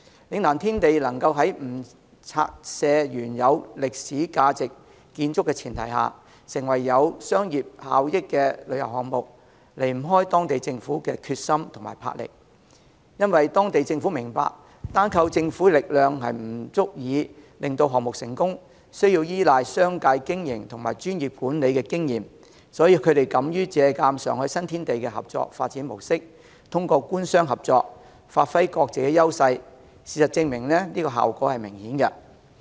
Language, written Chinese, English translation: Cantonese, 嶺南天地能在不拆卸原有具歷史價值建築的前提下，成為具商業效益的旅遊項目，離不開當地政府的決心和魄力，因為當地政府明白，單靠政府的力量不足以令項目成功，需要依賴商界的經營及專業管理的經驗，所以他們敢於借鑒上海新天地的合作發展模式，透過官商合作，發揮各自優勢，事實證明效果明顯。, It takes the determination and resolution of the local government to turn Lingnan Tiandi into a commercially viable tourism project without the need to demolish the original historic buildings . The local government understands that by its power alone it cannot make the project successful . It needs the experience of the commercial sector in business operation and professional management